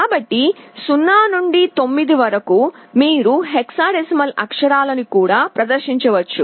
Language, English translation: Telugu, So, in addition to 0 to 9, you can also display the hexadecimal characters